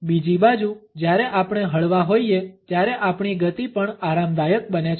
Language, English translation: Gujarati, On the other hand, when we are relaxed our speed also becomes comfortable